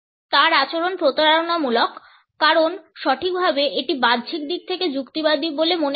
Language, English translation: Bengali, His demeanour is deceptive, precisely because it does not appear outwardly belligerent